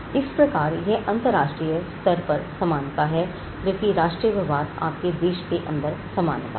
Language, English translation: Hindi, So, this is equality at the global level, whereas national treatment is equality within your country